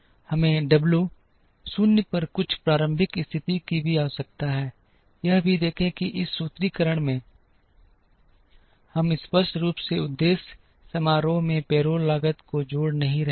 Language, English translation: Hindi, We also need some initial condition on W 0, also observe that in this formulation, we are not explicitly adding the payroll cost into the objective function